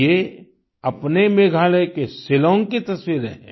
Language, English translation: Hindi, These are pictures of Shillong of our Meghalaya